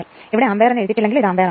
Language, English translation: Malayalam, It is not written here ampere it is ampere, so here it is written here right